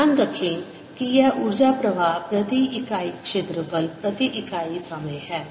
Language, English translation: Hindi, keep in mind that this is energy flow per unit area, per unit time